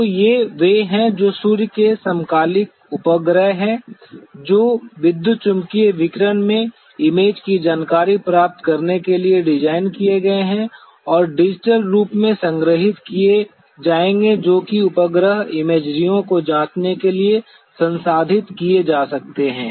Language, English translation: Hindi, So, these are the ones which are the sun synchronous satellites which are designed for acquiring the image information in the electromagnetic radiation and will be stored in digital form which can be processed to give the satellite imageries what we examine